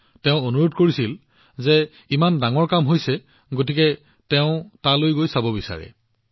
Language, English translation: Assamese, He urged me a lot that you have done such a great work, so I want to go there and see